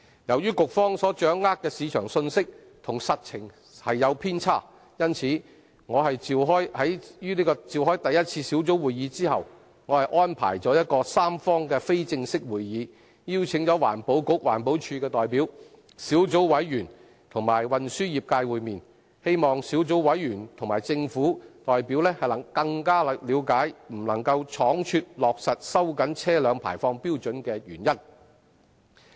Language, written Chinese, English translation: Cantonese, 由於局方所掌握的市場信息與實情有偏差，在舉行第一次小組委員會會議後，我安排了一個三方非正式會議，邀請了環境局、環保署代表、小組委員及運輸業界會面，希望小組委員和政府代表更了解不能倉卒落實收緊車輛排放標準的原因。, In view of the deviation of the market information available to the Bureau from the actual situation after the first meeting of the Subcommittee I arranged for an informal tripartite meeting to which the Environment Bureau and EPD representatives members of the Subcommittee and the transport trades were invited hoping that members of the Subcommittee and government representatives would better understand why the latter should refrain from implementing the tightened vehicle emission standards hastily